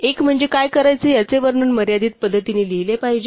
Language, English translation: Marathi, One is that the description of what to do must be written down in a finite way